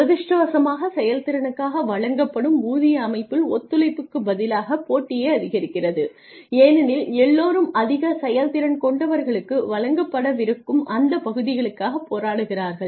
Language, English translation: Tamil, Unfortunately pay for performance systems increase competition not cooperation because everybody is fighting for that piece of the pie that is going to be given to high performers